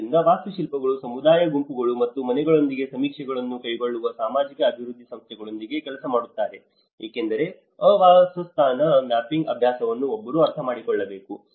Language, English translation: Kannada, So, similarly the architects work with the social development agencies to carry out surveys with community groups and house because one has to understand that habitat mapping exercise